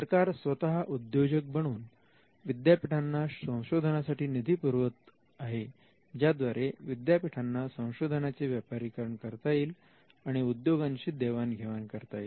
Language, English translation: Marathi, The state is actually becoming an entrepreneur, the state is giving them funds to do research and what could come out of this the state is allowing the universities to commercialize them and to share it with the industry